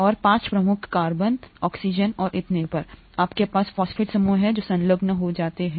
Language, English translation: Hindi, And to the 5 prime carbon, oxygen and so on, you have phosphate groups that gets attached